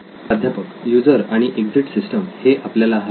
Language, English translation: Marathi, User and exit system, this is what we need